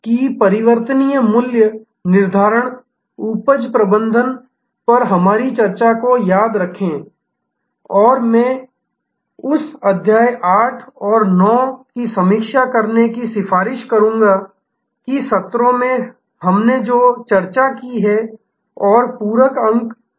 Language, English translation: Hindi, Remember, that our discussion on variable pricing, yield management and I would recommend that chapter 8th and 9 be reviewed to get a better understanding of what we have discussed and in the sessions and what are the supplementary points